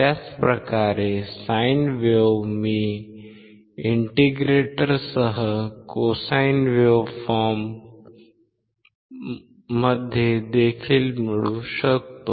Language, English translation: Marathi, Same way sine wave, I can get cosine wave with indicator as well